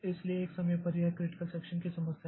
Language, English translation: Hindi, So, at one point of time, so this is a problem of critical section